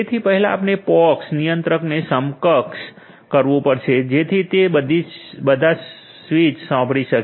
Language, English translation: Gujarati, So, first we have to enable the POX controller so, that it can listen to the switches